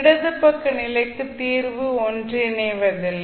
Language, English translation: Tamil, For left side condition the solution will not converge